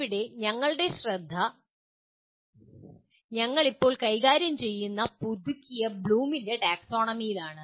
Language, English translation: Malayalam, Our focus here is on Revised Bloom’s Taxonomy which we will presently deal with